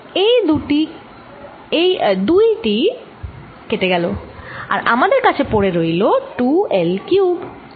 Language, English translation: Bengali, this two cancels, this two cancels, and you end up getting two l cubed